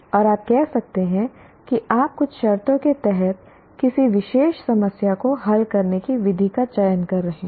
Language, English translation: Hindi, And you may say you are selecting a particular problem solving method under some conditions